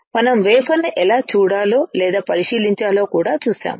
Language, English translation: Telugu, We have also seen how we can see or inspect the wafer